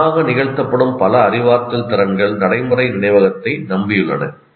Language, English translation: Tamil, Like many cognitive skills that are performed automatically rely on procedural memory